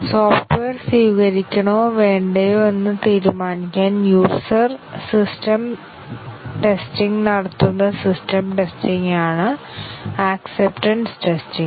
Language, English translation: Malayalam, Whereas acceptance testing is the system testing, where the customer does the system testing to decide whether to accept or reject the software